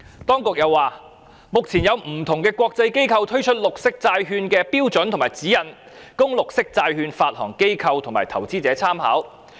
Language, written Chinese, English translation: Cantonese, 當局又稱，目前有不同的國際機構推出綠色債券的標準和指引，供綠色債券發行機構及投資者參考。, The authorities added that currently different international organizations have issued standards and guidelines for green bonds serving as reference for green bond issuers and investors